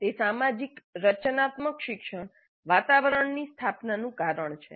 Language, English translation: Gujarati, And that is the reason for establishing social constructivist learning environment